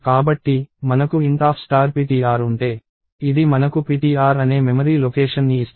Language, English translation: Telugu, So, if I have int star ptr (*ptr), this will give me a memory location called ptr